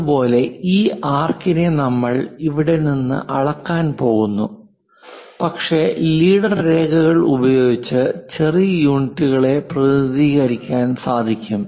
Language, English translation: Malayalam, Similarly, something like this arc is there and from here we are going to measure that arc, but using leader lines we will be in a position to represent the small units